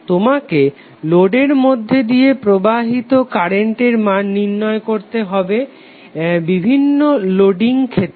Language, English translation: Bengali, So you need to find out the value of current through the load under various loading conditions